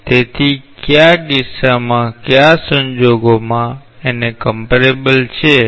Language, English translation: Gujarati, So, when under what case, under what circumstances they are comparable